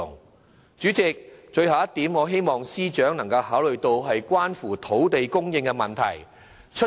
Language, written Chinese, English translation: Cantonese, 代理主席，最後一點，是希望司長能考慮關乎土地供應的問題。, Deputy President the last point I would like to raise in this regard is a proposal concerning land supply which I hope the Financial Secretary would consider